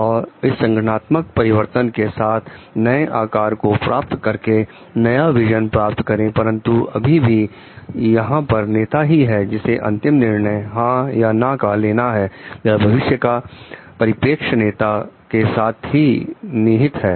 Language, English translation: Hindi, And so that like the organization transforms and gets a new shape it is a new vision etcetera, but still here it is the leader with whom the ultimate decision of yes and no remains or the future perspective remains with the leader